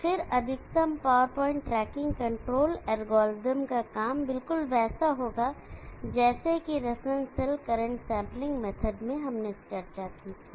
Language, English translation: Hindi, And then the functioning of the maximum power point, tracking control algorithm will be similar to what we had discussed, in the reference cell current sampling method